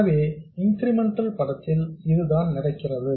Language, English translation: Tamil, So this is what happens in the incremental picture